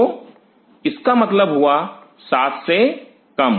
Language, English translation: Hindi, So, it means less than 7